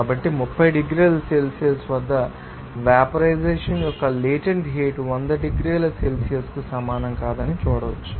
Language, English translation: Telugu, So, you can see that the latent heat of vaporization at 30 degrees Celsius is not same as that 100 degree Celsius